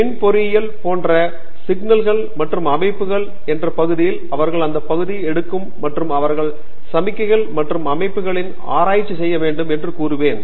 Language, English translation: Tamil, Like in Electrical engineering there is an area called signals and systems they would take that area and they will say I want to do research in signals and systems